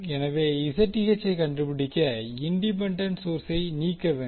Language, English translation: Tamil, So, to find the Zth we remove the independent source